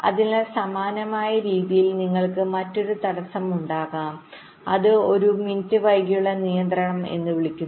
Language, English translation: Malayalam, so in a similar way you can have another constraint that is called a min delay constraint